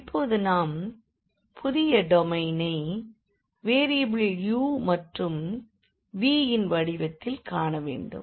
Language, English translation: Tamil, So, having this we have to see the new domain now in terms of variables u and v